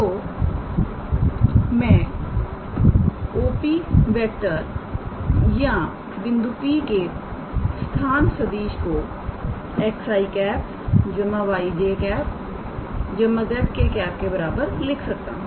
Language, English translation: Hindi, So, then I can write OP or the position vector of the point P is equals to x i y j and z k, alright